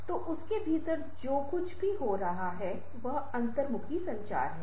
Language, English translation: Hindi, so anything which is happening within that is intrapersonal communication